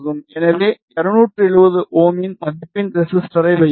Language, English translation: Tamil, So, we will put the resistor of value of 270 ohms